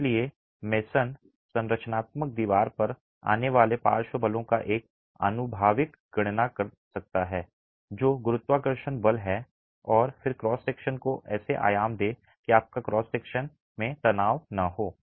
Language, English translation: Hindi, So, a Mason would make an empirical calculation of what could be the lateral forces coming onto the structural wall, what's the gravity force and then dimension the cross section such that you don't have tension in the cross section